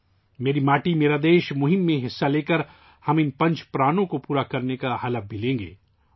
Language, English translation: Urdu, By participating in the 'Meri Mati Mera Desh' campaign, we will also take an oath to fulfil these 'five resolves'